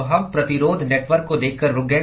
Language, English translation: Hindi, So we stopped by looking at the Resistance Network